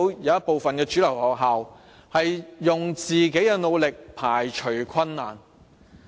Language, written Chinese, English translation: Cantonese, 有部分主流學校憑自己的努力，排除困難。, Some mainstream schools were able to overcome difficulties through their own efforts